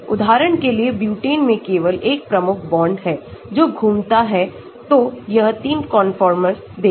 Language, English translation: Hindi, For example, butane has only one key bond that can rotate so, it can give 3 conformers